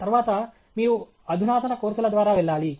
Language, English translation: Telugu, Then, you have go through the advanced courses